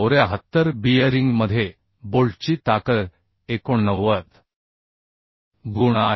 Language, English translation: Marathi, 294 and strength of bolt in bearing is 89